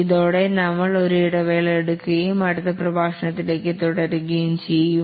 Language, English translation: Malayalam, With this, we'll just take a break and we'll continue in the next lecture